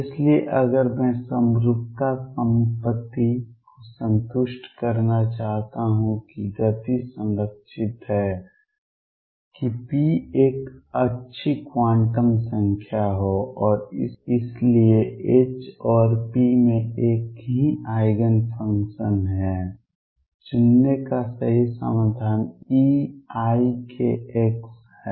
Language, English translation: Hindi, So, if I want to satisfy the symmetry property that the momentum is conserved that p be a good quantum number and therefore, H and p have the same Eigen function the correct solution to pick is e raise to i k x